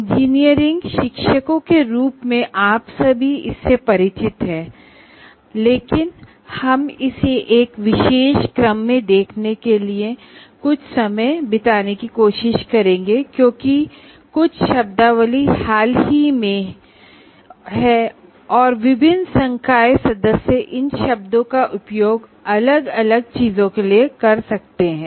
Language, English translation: Hindi, As engineering teachers, all of you are familiar with this, but we will try to spend some time in looking at this in one particular sequence because much some of the terminology, if not all the terminology, is somewhat recent and to that extent different faculty members may use these terms to mean different things